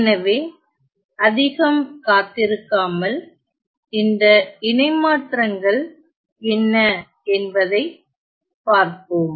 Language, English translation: Tamil, So, without waiting much let us look at what are these transforms